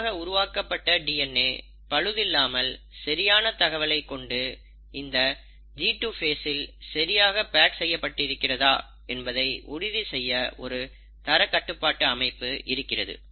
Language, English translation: Tamil, So a quality control exercise to make sure that all that newly synthesized DNA is intact, consists of correct information, is packaged correctly happens in the G2 phase